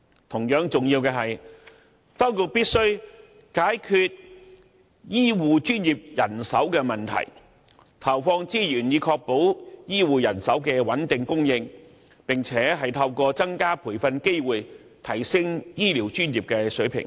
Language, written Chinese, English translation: Cantonese, 同樣重要的是，當局必須解決醫護專業人手問題，投放資源以確保醫護人手的穩定供應，並透過增加培訓機會，提升醫療專業的水平。, It is also imperative for the Administration to address the manpower problem of healthcare professionals . Resources should be allocated to ensure a stable supply of healthcare manpower and to upgrade the standard of the healthcare profession by providing more training opportunities